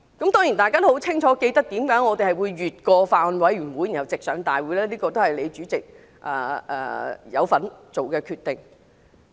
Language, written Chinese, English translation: Cantonese, 大家都清楚記得為甚麼這條例草案會繞過法案委員會直上大會，這是主席你都有份作的決定。, We all remember why the bill could bypass the Bills Committee and be submitted to the Legislative Council directly . President you were involved in making the decision